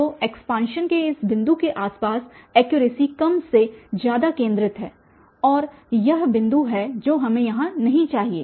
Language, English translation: Hindi, So, the accuracy is more or less concentrated around this point of expansion that is the one point here we should not